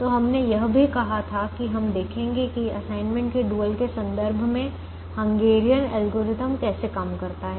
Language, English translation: Hindi, so we also said that we will see how the hungarian algorithm works with respect to the dual of the assignment problem